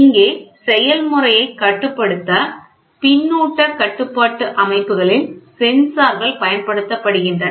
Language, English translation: Tamil, Here sensors are used in feedback control systems controlling of the process, right